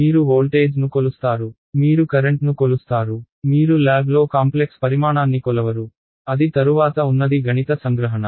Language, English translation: Telugu, You measure voltage, you measure current right; you do not measure a complex quantity in the lab right that is a later mathematical abstraction